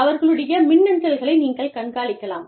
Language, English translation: Tamil, You monitor their e mails